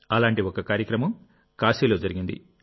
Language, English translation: Telugu, One such programme took place in Kashi